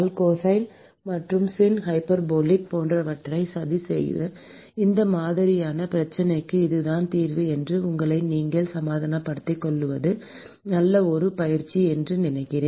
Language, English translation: Tamil, I think it is a good exercise to go and plot cosine and sin hyperbolic and convince yourself that this is the solution for this kind of a problem